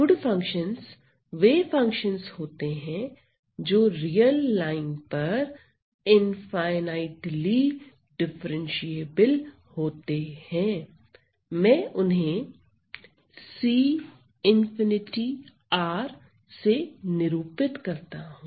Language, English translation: Hindi, So, good functions are those functions which are infinitely differentiable over the real line, I denote it by C infinity R